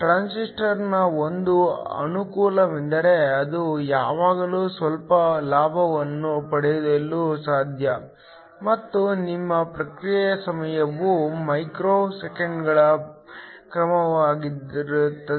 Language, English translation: Kannada, One of the advantages of a transistor is that it is always possible to have some gain, and your response time is of the order of micro seconds